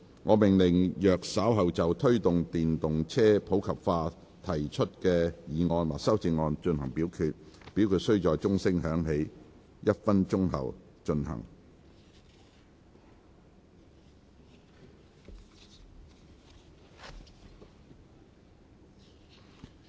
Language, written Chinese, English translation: Cantonese, 我命令若稍後就"推動電動車普及化"所提出的議案或修正案再進行點名表決，表決須在鐘聲響起1分鐘後進行。, I order that in the event of further divisions being claimed in respect of the motion on Promoting the popularization of electric vehicles or any amendments thereto this Council do proceed to each of such divisions immediately after the division bell has been rung for one minute